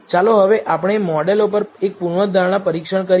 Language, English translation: Gujarati, Now, let us do a hypothesis test on the models